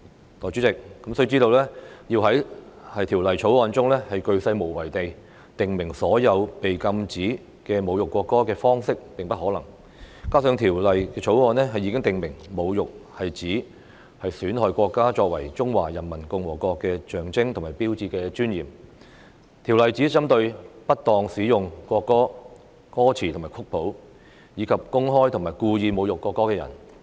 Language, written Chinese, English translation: Cantonese, 代理主席，須知道，要在《條例草案》中鉅細無遺地訂明所有禁止侮辱國歌的方式是不可能的，加上《條例草案》已訂明侮辱是指"損害國歌作為中華人民共和國的象徵和標誌的尊嚴"，《條例草案》只針對不當使用國歌歌詞和曲譜，以及公開及故意侮辱國歌的人。, Deputy Chairman we must understand that it is impossible to specify all the prohibited ways of insulting the national anthem exhaustively in the Bill . Moreover insult is defined as undermine the dignity of the national anthem as a symbol and sign of the Peoples Republic of China in the Bill . The Bill only targets those who misuse the lyrics and score of the national anthem and those who publicly and intentionally insult the national anthem